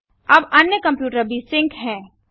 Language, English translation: Hindi, The other computer is also sync now